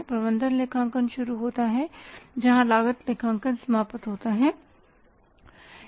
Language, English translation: Hindi, Management accounting starts where the cost accounting ends